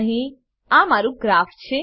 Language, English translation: Gujarati, Here is my graph